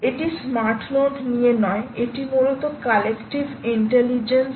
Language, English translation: Bengali, it's not about a smart node, it's about collective intelligence